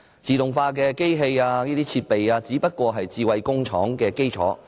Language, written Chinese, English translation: Cantonese, 自動化機器等設備只是"智慧工廠"的基礎。, Automated machines and other equipment are the bases of smart factories